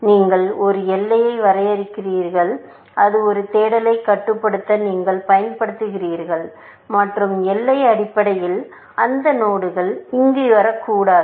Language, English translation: Tamil, It says that you draw a boundary, which you use for controlling a search, and the boundary is essentially, those nodes